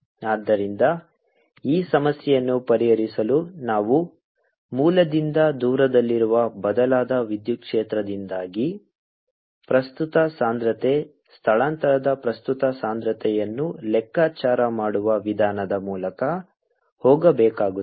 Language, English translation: Kannada, so to solve this problem you have to go through the procedure of calculating on current density, displacement current density because of this changed electric field at a distance r from the originals